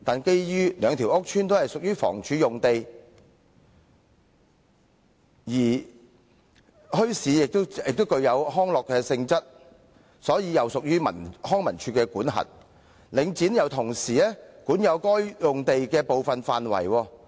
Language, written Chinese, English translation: Cantonese, 然而，兩個屋邨均屬房屋署用地，而墟市也具康樂性質，因此又屬於康樂及文化事務署的管轄範圍，而領展亦同時管有該等用地的部分範圍。, Hence the community organization wanted to set up bazaars in eight feasible land lots in Yat Tung Estate and Fu Tung Estate . It had to deal with the Housing Department responsible for managing the two PRH estates; the Leisure and Cultural Services Department LCSD since bazaars were recreational in nature as well as Link REIT which has control of part of the land